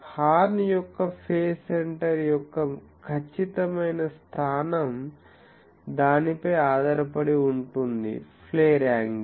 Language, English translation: Telugu, The exact location of the phase center of the horn depends on it is flare angle